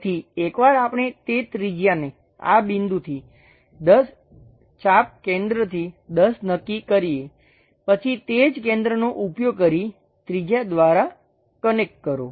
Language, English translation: Gujarati, So, once we fix that radius from this point arc 10, arc 10 center we know, then connect by radius use the same center